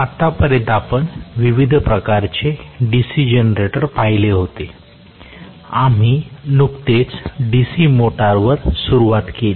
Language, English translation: Marathi, Until now, we had seen the different types of DC generators; we just started on the DC motors in the last class